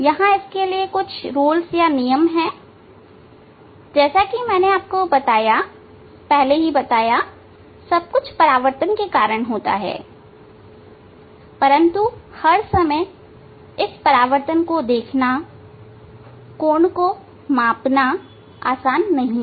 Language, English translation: Hindi, there are rules for that everything will happen due to the reflection as I told you discussed you, but all the time seeing this reflection measuring the angle it is not the easy way